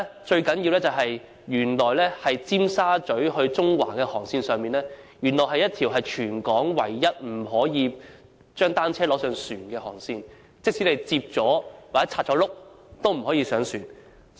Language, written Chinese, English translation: Cantonese, 最重要的一點是，尖沙咀至中環的航線是全港唯一一條不准攜帶單車登船的航線，即使把單車摺起來或拆除車輪也不可以。, The most crucial point is that the ferry service connecting Tsim Sha Tsui and Central is the only ferry route prohibiting the carriage of bicycles even bicycles folded or with wheels removed are prohibited